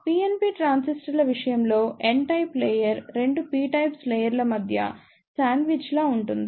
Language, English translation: Telugu, In case of PNP transistors, n type of layer is sandwich between 2 p type of layers